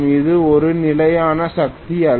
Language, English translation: Tamil, It is not a constant power